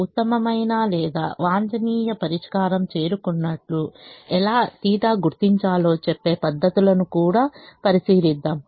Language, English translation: Telugu, we would also look at methods that tell us how to identify that the best or optimum solution has been reached